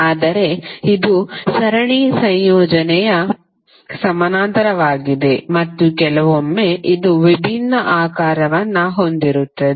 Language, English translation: Kannada, But it is a combination of series, parallel and sometimes it is having a different shape